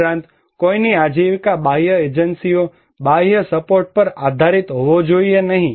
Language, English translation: Gujarati, Also, someone's livelihood should not depend on external agencies, external support